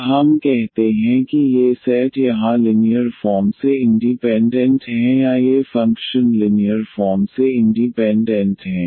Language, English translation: Hindi, Then we call that these set here is linearly independent or these functions are linearly independent